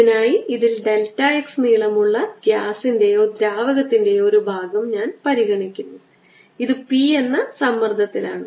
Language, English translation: Malayalam, for this i consider a portion of gas or liquid in this which is here of length, delta x